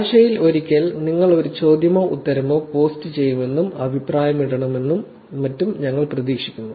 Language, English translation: Malayalam, We expect you to actually post at least one question or answer or have a question, make comment, etcetera once per week